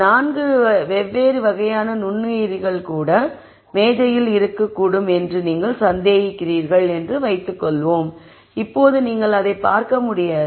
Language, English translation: Tamil, Let us assume that you suspect there could be four different types of microorganisms also that could be on the table, now you cannot see it